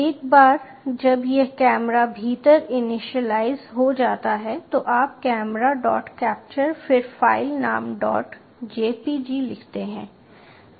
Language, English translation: Hindi, once this has been initialized within camera you write camera dot capture